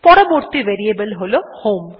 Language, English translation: Bengali, The next variable is HOME